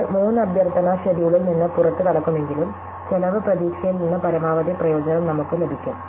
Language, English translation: Malayalam, So, though we will one get out of 3 request schedule, we actually get a maximum benefit from the cost prospect